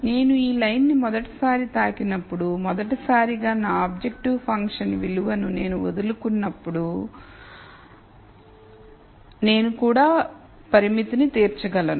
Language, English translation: Telugu, So, when I touch this line for the rst time is the point at which for the rst time, when I give up my objective functions value, I am also able to satisfy the constraint